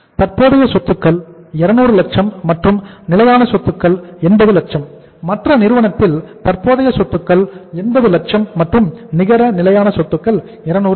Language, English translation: Tamil, Current assets are 200 lakhs and the fixed assets are 80 lakhs and in the other firm the current assets are 80 lakhs and the fixed asset net fixed assets are 200 lakhs